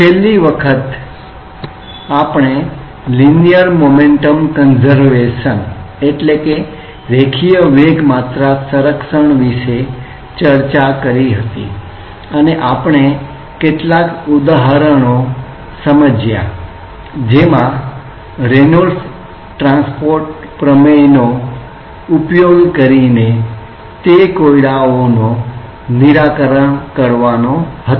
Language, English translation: Gujarati, Last time we were discussing about the Linear Momentum Conservation, and we were looking into some examples to illustrate the use of the Reynolds transport theorem for working out problems related to that